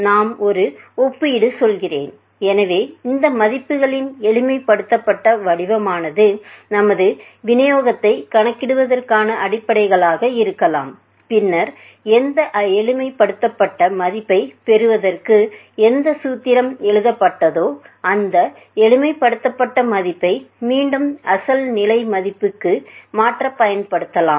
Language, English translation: Tamil, So, that is simplified form of this values can emerge which can be the bases of calculating our distributional, and then later on whatever simplifier value has whatever formulation has been done to obtain that simplified value can be a used to reconvert this back into the original values